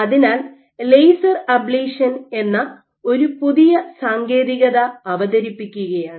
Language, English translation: Malayalam, So, there is a new technique which has been introduced called laser ablation